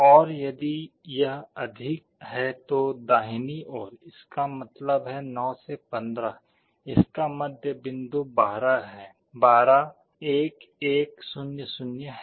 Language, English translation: Hindi, And on the right hand side if it is greater; that means, 9 to 15, middle point of it is 12, 12 is 1 1 0 0